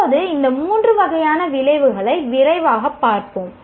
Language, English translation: Tamil, Now, let us quickly go through these three types of outcomes